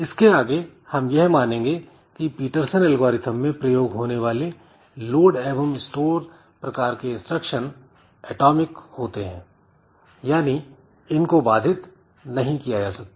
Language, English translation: Hindi, So, this load and store type of instructions that will have in the Peterson's algorithm so they will be assumed to be atomic so you cannot it they cannot be interrupted